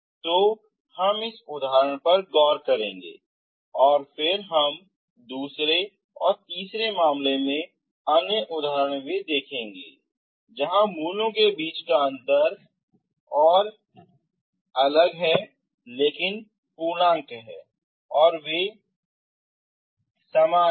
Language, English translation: Hindi, So we will look into that example and then we will see the other examples, these case 2 case 3, where the difference between the roots will be one is not integer, they are distinct but integer and they are same